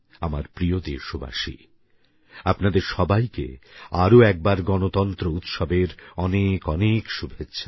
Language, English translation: Bengali, My dear countrymen, once again many many good wishes for the Republic Day celebrations